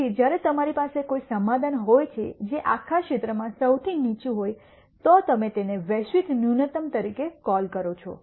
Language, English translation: Gujarati, So, when you have a solution which is the lowest in the whole region then you call that as a global minimum